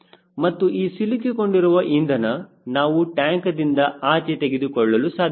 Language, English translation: Kannada, and the trapped fuel is some fuel which you cannot take it out from the fuel tank